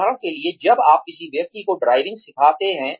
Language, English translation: Hindi, For example, when you teach a person, driving